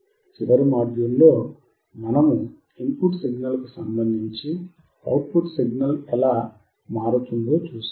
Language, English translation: Telugu, And we have seen how the output signal was changing with respect to input signal